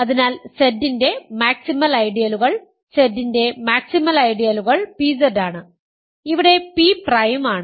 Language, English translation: Malayalam, So, max ideals of Z; max ideals of Z are pZ, where p is prime